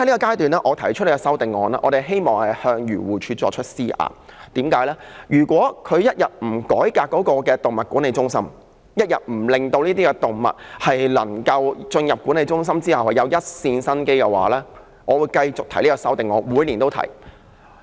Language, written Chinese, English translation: Cantonese, 因此，我提出這項修正案，是希望向漁護署施壓，因為它一天不改革動物管理中心，一天不令這些進入管理中心的動物存有一線生機，我會繼續提出這項修正案，每年都會提出。, I thus propose this amendment hoping to put some pressure on AFCD . As long as it does not reform the Animal Management Centres and give these animals a glimpse of hope after entering these centres I will continue to propose this amendment . I will do so every year